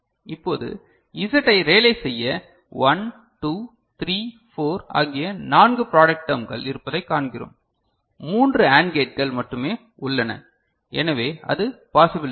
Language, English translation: Tamil, Now coming to realization of Z we see that there are four product terms 1, 2, 3, 4 and you have got only three AND gates right, so it is not possible ok